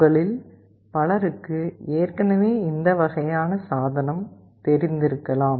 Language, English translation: Tamil, Many of you may already be familiar with this kind of device